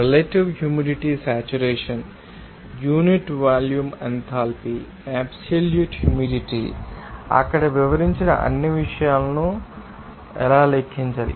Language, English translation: Telugu, Relative humidity saturation, unit volume enthalpy, absolute humidity, how to calculate all those things who have described to there